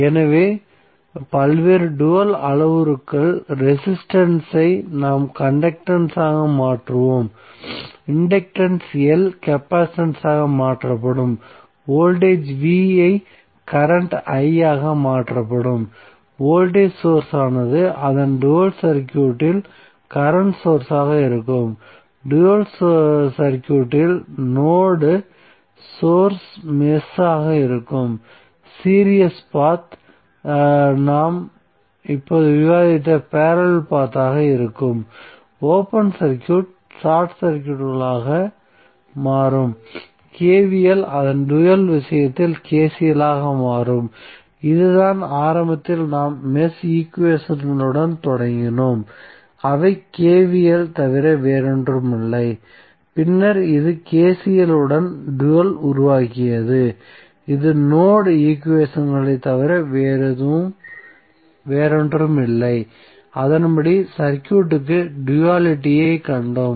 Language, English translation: Tamil, So what we can say what are the various dual parameters resistance are would be converted into conductance, inductance L would be converted into capacitance, voltage V would be converted into current I, voltage source would be current source in source of its dual circuit, node would be the mesh in the dual circuit, series path would be parallel path which we have just discussed, open circuit would become short circuit, KVL would be KCL in case of its dual so this is what we started initially with we started with mesh equations those are nothing but KVL and then we created dual with the help of KCL that this are nothing but the node equations and the accordingly we found the dual of the circuit